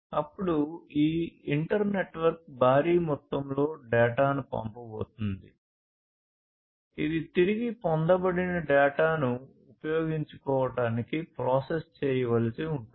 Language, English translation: Telugu, And then this inter network is going to send lot of data, which will have to be processed in order to make use out of the data that have been retrieved